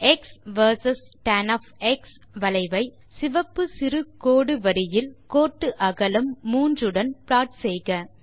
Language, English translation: Tamil, Plot the curve of x versus tan in red dash line and linewidth 3